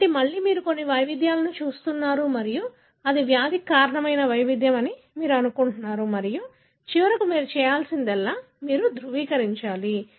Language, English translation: Telugu, So, again you will be looking at some variations and you will be assuming that this is the variation that causes the disease and eventually what you have to do is you have to validate